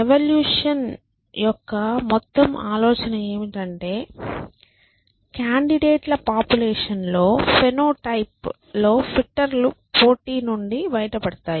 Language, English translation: Telugu, So, the whole idea of evolution is that in a population of candidates, the phenotypes, the fitter ones are the ones who survive the competition